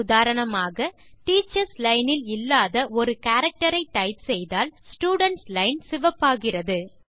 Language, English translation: Tamil, For example, when you type a character that is not displayed in the Teachers Line, the Student line turns red